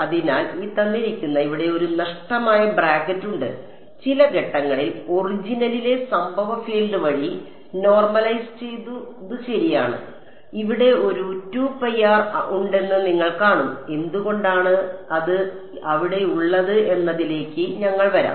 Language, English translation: Malayalam, So, there is a missing bracket here all right at some point normalized by the incident field at the origin ok; and you will see there is a 2 pi r over here and we will we will come to why the 2 pi r is over there ok